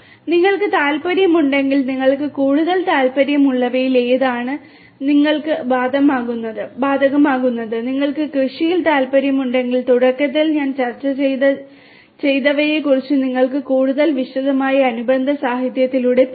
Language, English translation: Malayalam, And if you are interested you can go through whichever is more applicable to you whichever interests you more if you are from if you have interests in agriculture the ones that I discussed at the very beginning you can go through the corresponding literature in further detail